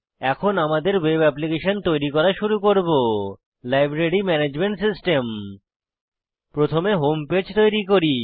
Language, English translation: Bengali, We will begin by creating our web application the Library Management System